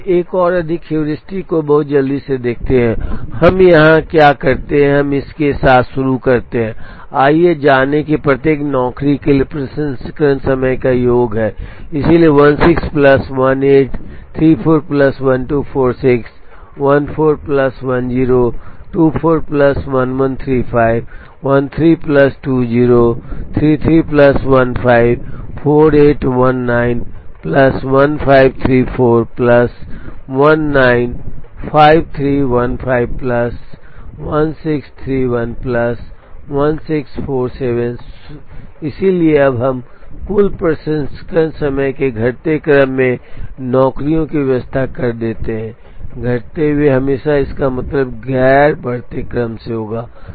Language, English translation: Hindi, Now, we look at one more heuristic very quickly and what we do here is that we start with, let us find out the sum of processing time of each of the jobs, so 16 plus 18, 34 plus 12 46, 14 plus 10, 24 plus 11 35, 13 plus 20, 33 plus 15, 48, 19 plus 15, 34 plus 19, 53, 15 plus 16, 31 plus 16, 47